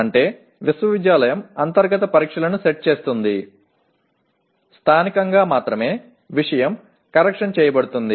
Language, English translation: Telugu, That means the university will set the internal tests as well as, only thing is corrected at locally